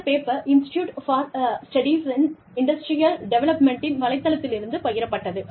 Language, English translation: Tamil, You know, that is shared, on the website of the, Institute for Studies in Industrial Development